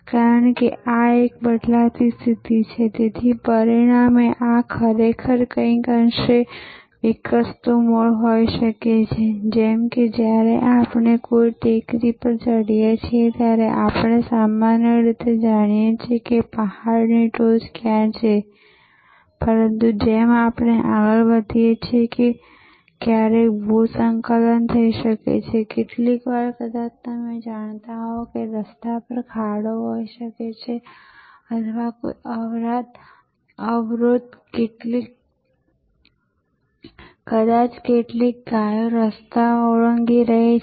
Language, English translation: Gujarati, Because, this is a changing position, this is a changing position, so as a result this may be actually a somewhat evolving root, just as when we or climbing a hill, then we know generally where the hill top is, but as we proceed sometimes there may be a landslides, sometimes there maybe some you know pot hole on the road and there may be some, you know obstruction, maybe some cows are crossing the road